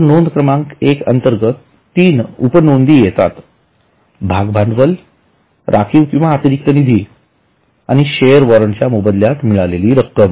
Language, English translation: Marathi, Okay, so under item number one, there are three sub items, share capital, reserves and surplus and money received against share warrant